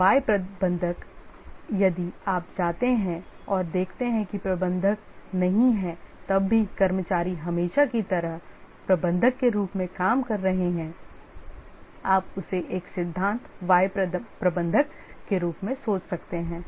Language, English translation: Hindi, And theory Y manager if you visit and see that even when the manager is not there the workers are working as usual then the manager you can think of him as a theory why manager